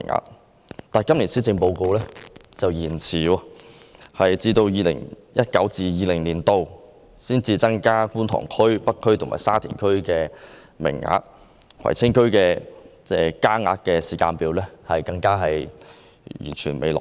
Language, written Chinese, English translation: Cantonese, 然而，據今年的施政報告所載，有關計劃卻延遲了，須待 2019-2020 年度才增加觀塘區、北區和沙田區的名額，而葵青區增加名額的時間表則尚未落實。, As set out in this years policy address however the plan has been postponed and only until 2019 - 2020 will the increase in the numbers of places be materialized in Kwun Tong District North District and Sha Tin District whereas the timetable for increasing aided places in Kwai Tsing District has yet to be finalized